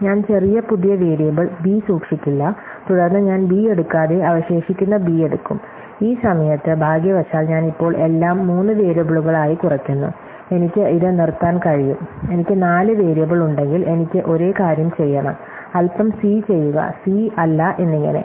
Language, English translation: Malayalam, So, I will keep not a x a little new variable b, and then I will take not b and take remaining b, at this point, fortunately I now reduce everything into three variables, I can stop it, if I have four variable still, I have do same thing a little c and not c and so on